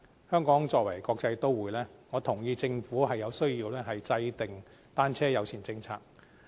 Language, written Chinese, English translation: Cantonese, 香港作為一個國際都會，我認同政府有需要制訂單車友善政策。, Hong Kong is a metropolitan city . I agree with the assertion that the Government needs to formulate a bicycle - friendly policy